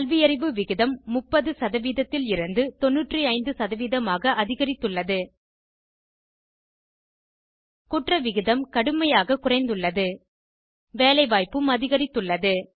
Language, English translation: Tamil, Literacy rate has grown from 30% to 95% Crime rate has come down drastically